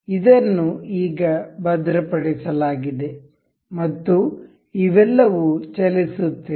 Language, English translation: Kannada, This is fixed now and all these are moving